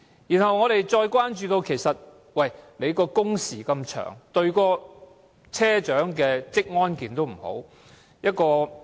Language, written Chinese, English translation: Cantonese, 此外，我們關注到工時那麼長，不利車長的職安健。, Moreover our concern is that the long working hours are unfavourable to the occupational safety and health of drivers